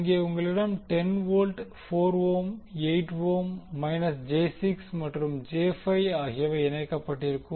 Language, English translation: Tamil, Wwhere you have 10 volt, 4 ohm,8 ohm and minus j 6 and j 5 ohm connected